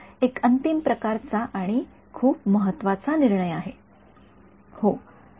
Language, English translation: Marathi, One final sort of and very important take is